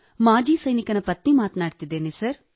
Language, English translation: Kannada, This is an ex Army man's wife speaking sir